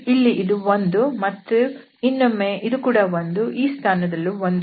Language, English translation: Kannada, So this is 1 here and again here also 1 and at this place also we have 1